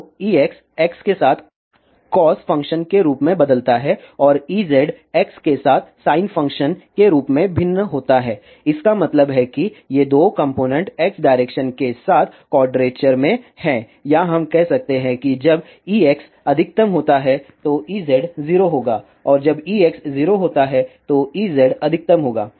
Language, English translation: Hindi, So, E x varies as cos function along x and E z varies as sin function along x that means, these two components are in phase quadrature along x direction or we can say when E x is maximum then E z will be 0 and when E x is 0 then E z will be maximum